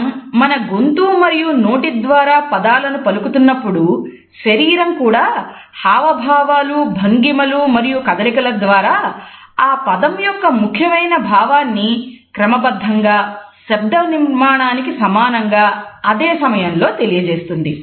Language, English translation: Telugu, While we articulate the sounds of a word with the help of our voice and mouth, the body also simultaneously starts to convey with postures gestures and motion and equally important interpretation of the word and it does so, in a structured way which is analogous to the verbally structure